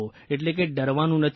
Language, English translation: Gujarati, But we didn't fear